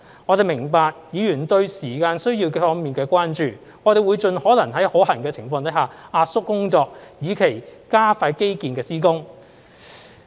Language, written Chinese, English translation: Cantonese, 我們明白議員對時間需要方面的關注，我們會盡可能在可行的情況下壓縮工作，以期加快基建施工。, We understand Honourable Members concerns over the time required and will compress our work as far as practicable with a view to expediting the delivery of infrastructure projects